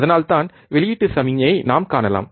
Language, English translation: Tamil, So, that we can see the output signal, alright